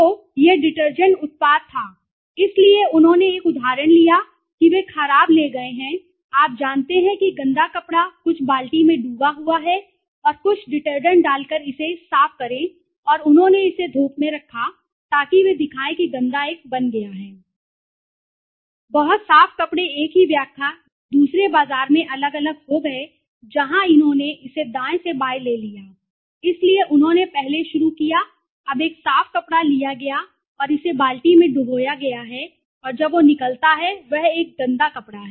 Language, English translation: Hindi, So, when the product was one of the product of you know this was the product of detergent product so they taken took an example they took bad you know dirty cloth dipped into some bucket put some detergent and rinse clean it and they kept it in the sun, so they showed that the dirty one became a very clean cloth the same interpretation became different in the market in another market where they took it from the right to left so they first start now a clean cloth is been taken and it is been dipped in the bucket and now what comes out is a dirty cloth